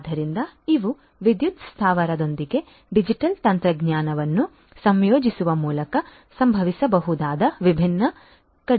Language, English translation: Kannada, So, these are these different reductions that can happen through the incorporation of digital technology with the power plant